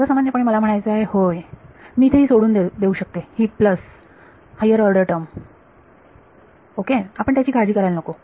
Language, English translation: Marathi, So, in general it is I mean yeah I can just leave it this is the plus higher order terms ok, let us we need not worry about